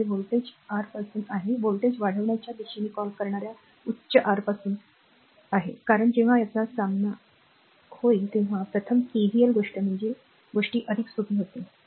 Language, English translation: Marathi, So, it is from the voltage your from the higher your what you call in the direction of the voltage rise, because it will encounter plus first one is the KVL thing at the time things will be easier